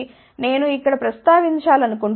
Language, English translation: Telugu, So, here I just want to mention here